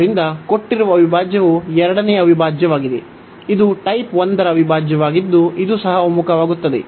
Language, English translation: Kannada, And hence the given integral the second integral, which was the type 1 integral that also converges